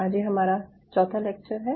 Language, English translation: Hindi, so today we end of the fourth lecture